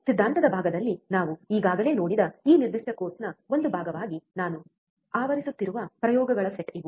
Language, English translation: Kannada, These are the set of experiments that I am covering as a part of this particular course which we have already seen in theory part